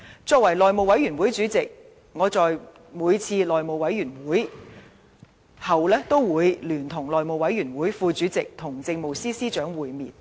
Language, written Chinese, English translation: Cantonese, 身為內務委員會主席，我在每次內務委員會會議後都會聯同內務委員會副主席與政務司司長會面。, As the House Committee Chairman I together with the House Committee Deputy Chairman will meet with the Chief Secretary for Administration after every House Committee meeting